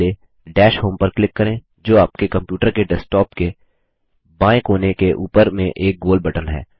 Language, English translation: Hindi, First, click on Dash Home, which is the round button, on the top left corner of your computer desktop